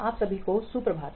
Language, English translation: Hindi, Good morning to all of you